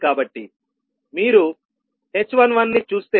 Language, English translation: Telugu, So, if you see h11